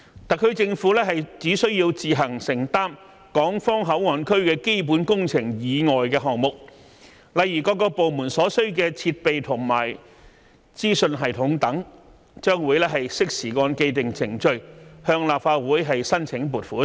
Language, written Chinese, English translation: Cantonese, 特區政府只需要自行承擔港方口岸區基本工程以外的項目，例如各部門所需的設備和資訊系統等，將會適時按既定程序向立法會申請撥款。, The SAR Government will only bear the costs of works other than the capital works of the Hong Kong Port Area such as the ancillary facilities and information systems to be utilized by various government departments . The funding request of these costs will be submitted to the Legislative Council in due course according to the established procedures